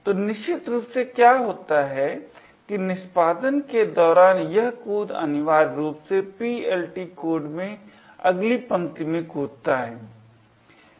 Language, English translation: Hindi, So, essentially what happens is that during the execution this jump essentially jumps to the next line in the PLT code